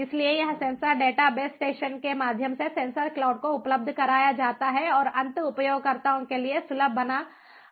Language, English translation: Hindi, so this sensor data is made a, made available through the base station to the sensor cloud and is made accessible to the end users